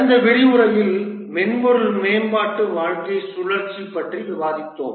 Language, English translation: Tamil, In the last lecture we discussed about the software development lifecycle